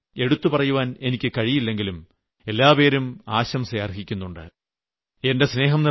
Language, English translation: Malayalam, I am not able to mention every state but all deserve to be appreciated